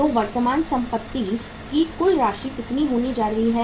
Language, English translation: Hindi, So the total amount of the current assets is going to be how much